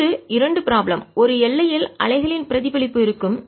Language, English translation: Tamil, next, two problems are going to be on the reflection of waves on a boundary